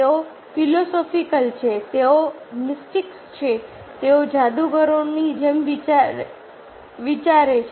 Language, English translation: Gujarati, they are philosophical, they are mystiques, they are just like magicians